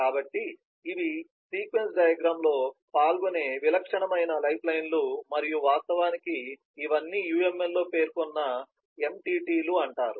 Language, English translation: Telugu, so these are the typical lifelines that will be involved in a sequence diagram and in all these, i should go back, these are the named entities in the uml